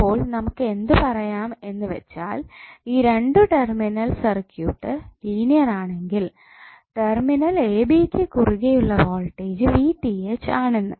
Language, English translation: Malayalam, So what we can say that, the linear two terminal circuit, open circuit voltage across terminal a b would be equal to VTh